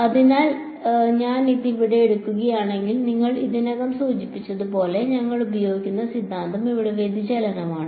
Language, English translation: Malayalam, So, if I take this over here then as you already mentioned the theorem that we will use is divergence here right